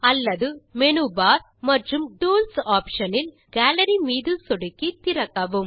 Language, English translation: Tamil, Alternately, click on Tools option in the menu bar and then click on Gallery to open it